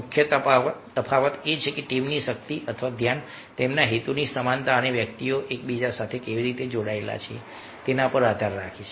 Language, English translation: Gujarati, the main difference is that our teams strength or focus depends on the commonality of their purpose and how the individuals are connected to one another